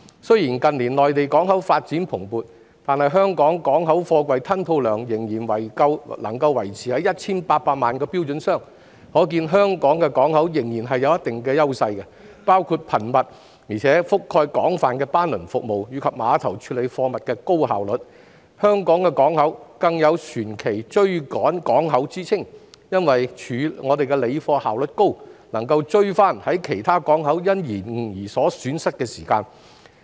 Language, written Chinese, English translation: Cantonese, 雖然近年內地港口發展蓬勃，但香港的港口貨櫃吞吐量仍然維持在 1,800 萬個標準箱，可見香港港口仍然有一定的優勢，包括頻密且覆蓋廣泛的班輪服務，以及碼頭高效率的貨物處理工作；香港港口更有"船期追趕港口"之稱，因為我們的理貨效率高，能追回於其他港口延誤而損失的時間。, Despite the booming development of Mainland ports in recent years the container throughput of the port of Hong Kong remains at 18 million twenty - foot equivalent units showing that the port of Hong Kong still has certain advantages including frequent and comprehensive liner services as well as efficient cargo handling operations at terminals . The port of Hong Kong is even known as a catch - up port because our high efficiency in cargo handling helps make up the time lost due to delays in other ports